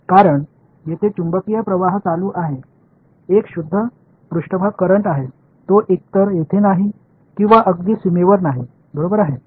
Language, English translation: Marathi, Because, there is magnetic current is on the is a pure surface current it does not it is not either here nor there is exactly on the boundary right